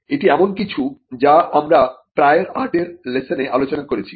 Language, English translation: Bengali, Now this is something which we have covered in the lesson on prior art